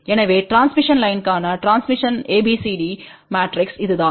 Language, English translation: Tamil, So, this is what is the ABCD matrix for a transmission line